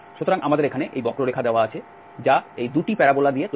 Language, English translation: Bengali, So, we have this curve here given, which is made of these 2 parabolas